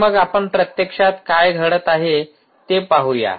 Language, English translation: Marathi, so lets see what actually is happening